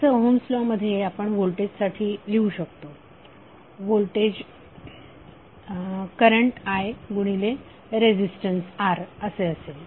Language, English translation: Marathi, So as for Ohm’s law what you can write for voltage, voltage would be current I and multiplied by resistance R